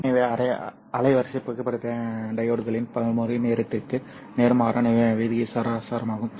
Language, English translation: Tamil, So bandwidth is inversely proportional to the response time of the photodiodes